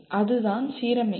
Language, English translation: Tamil, That is what is alignment